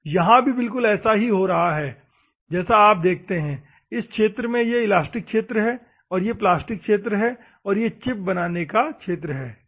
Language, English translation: Hindi, So, the same thing is happening here you can see here, if you see in this region this is the elastic region and this is the plastic region and chip formation region is this particular thing, ok